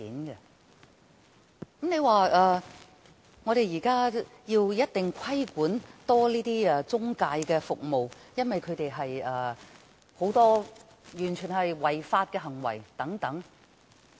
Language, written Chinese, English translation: Cantonese, 現時，有人提出要加強規管中介服務，因為這些中介有很多違法行為。, Now some people have proposed to step up the regulation of intermediary services for these intermediaries have engaged in many illegal practices